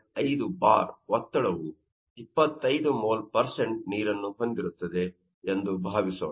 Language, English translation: Kannada, 5 bar that contains you know 25 moles of water